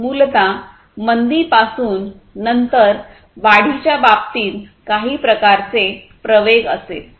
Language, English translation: Marathi, So, basically from the recession, then there will be some kind of acceleration in terms of the growth